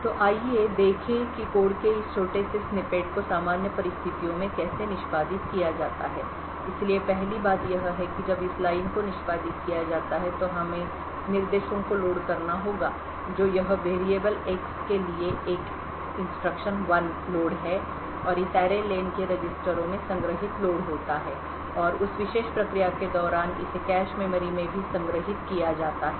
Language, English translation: Hindi, So let us see how execution off this small snippet of code takes place in normal circumstances so the first thing that is done is that when this line gets executed we have to load instructions one is the load for this variable X and the load for this variable array len so these 2 loads would cause X and array len to be loaded into the registers and during that particular process it would also get load loaded into the cache memory